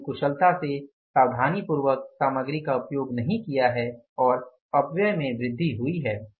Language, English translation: Hindi, They have not used the material efficiently, meticulously and wastages have increased